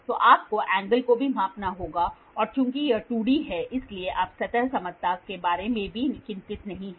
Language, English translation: Hindi, So, you will have to measure the angle also and since it is 2D, so you are not worried about the surface flatness